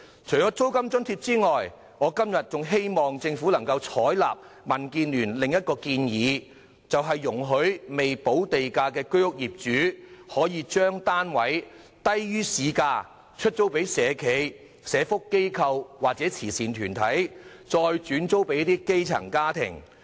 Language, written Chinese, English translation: Cantonese, 除了租金津貼外，我今天還呼籲政府採納民建聯的另一項建議，容許未補地價的居屋業主，將單位以低於市價租給社企、社福機構或慈善團體，再轉租給基層家庭。, In addition to a rent allowance I would also like to call on the Government today to agree to another proposal put forward by DAB to allow Home Ownership Scheme HOS flat owners who have not paid premium to rent their flats to social enterprises social welfare organizations or charity organizations at a rate lower than the market rate so that the flats can be subleased to grass - roots households